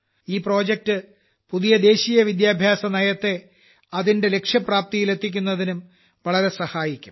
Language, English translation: Malayalam, This project will help the new National Education Policy a lot in achieving those goals as well